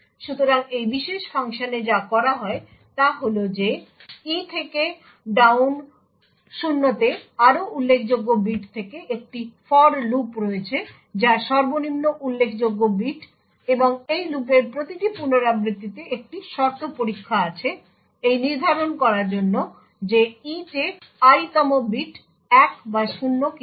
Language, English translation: Bengali, So what is done in this particular function is that there is a for loop from the more significant bit in e down to 0 that is the least significant bit, and in every iteration of this for loop there is a condition check to determine whether the ith bit in e is 1 or 0